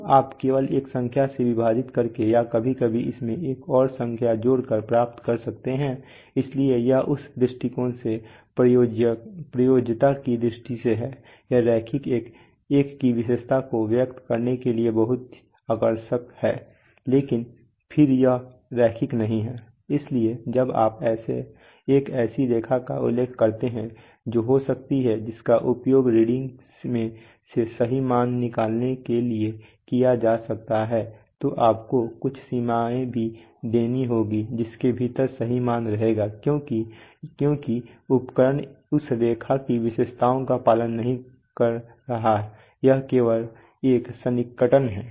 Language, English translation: Hindi, So you can get just by dividing by a number or sometimes adding another number to it, so it is from that point of view from the point of view usability it is very attractive to express the characteristic of the linear one but then it is not linear, so therefore while you mention a line which can be which can be used for deducing the true value from a reading, you also have to give some bounds within which the true value will remain because it is not exactly going to because the instrument does not actually follow that line characteristics the line is only an approximation